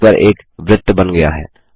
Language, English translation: Hindi, A circle is drawn on the page